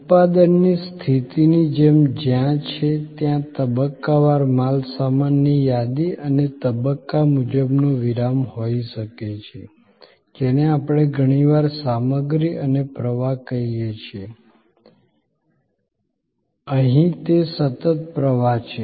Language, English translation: Gujarati, Like in a manufacturing situation, where there are, there can be stage wise inventories and stage wise pauses, what we often call stock and flow, here it is a continuous flow